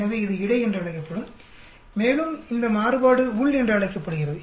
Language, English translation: Tamil, So it will be called between and this variation is called within